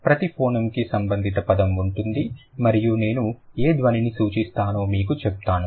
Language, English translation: Telugu, Each of the phoenem has a corresponding word and I'll just tell you which sound I refer to